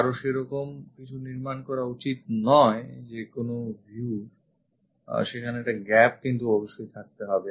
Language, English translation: Bengali, One should not construct something like that any view there should be a gap